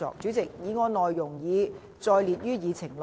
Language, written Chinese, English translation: Cantonese, 主席，議案內容已載列於議程內。, President the content of the motion is set out on the Agenda